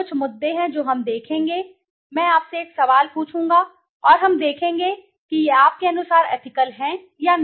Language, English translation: Hindi, There are few issues we will see I will ask you few questions and we will see whether these are ethical or not according to you